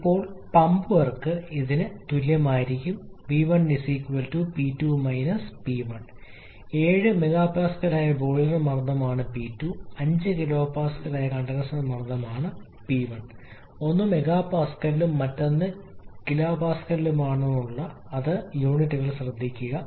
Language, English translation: Malayalam, Now the pump work will be equal to is V1 into P2 P1, P2 is the boiler pressure which is 7 mega pascal P1 is a condenser pressure which is 5 kilo Pascal be careful about the units one is in mega pascal calories in 1 kilo Pascal